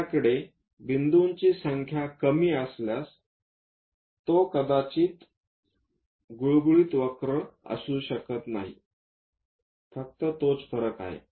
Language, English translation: Marathi, If we have less number of points, it may not be very smooth curve; that is the only difference